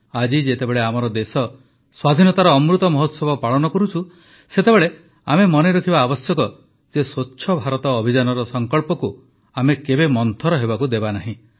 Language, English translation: Odia, Today, when our country is celebrating the Amrit Mahotsav of Independence, we have to remember that we should never let the resolve of the Swachh Bharat Abhiyan diminish